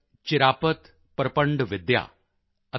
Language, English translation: Punjabi, Chirapat Prapandavidya and Dr